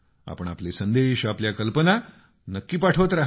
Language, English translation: Marathi, Do keep sending your messages, your ideas